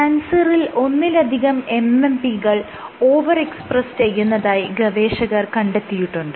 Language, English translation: Malayalam, And it has been observed that in cancer multiple MMPs are over expressed